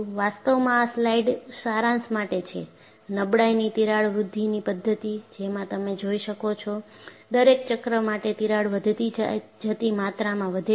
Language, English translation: Gujarati, In fact, this slide summarizes, the crack growth mechanism of fatigue, where you could see, for every cycle the crack grows by an incremental amount